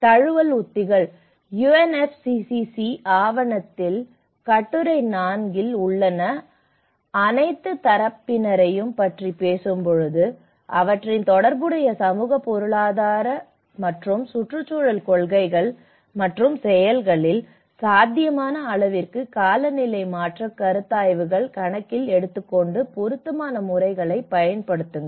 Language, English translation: Tamil, Adaptation strategies; when we talk about all parties in article 4 in UNFCCC document; take climate change considerations into account to the extent feasible in their relevant social, economic and environmental policies and actions and employ appropriate methods